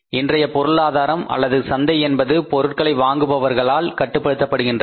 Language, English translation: Tamil, Economies today, markets today are controlled by the buyers